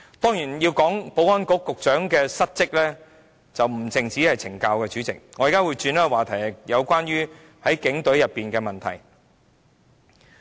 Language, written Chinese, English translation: Cantonese, 當然，保安局局長的失職不單在於懲教署方面，我現在改變話題，談談警隊的問題。, Of course the failure of the Secretary for Security to do his job well is reflected not only by CSD . I now change the topic and talk about the Police Force